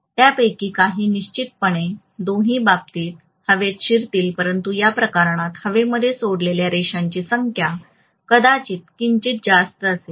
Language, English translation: Marathi, Some of them will definitely leak into the air in either case but the number of lines leaking into air in this case maybe slightly higher